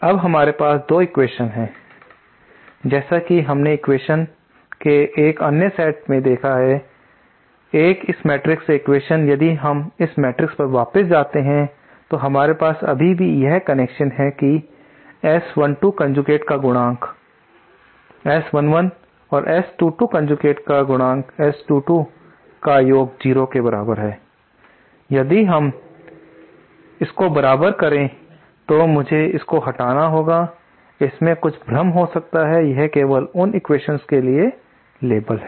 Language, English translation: Hindi, Now we have another 2 equations as we saw so 1 other set of equation 1 another equation from this matrix if we go back to this matrix we still have this equation that is S 1 2 conjugate times S 1 1 plus S 2 2 conjugate times S 1 2 is equal to 0, so if we equate this let me rub out these these terms these might create some confusion, this is just a label for those equations